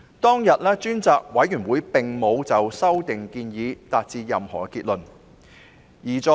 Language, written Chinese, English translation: Cantonese, 當日，專責委員會並沒有就修訂建議達成任何結論。, On that day the Select Committee did not arrive at any conclusion on the proposed amendments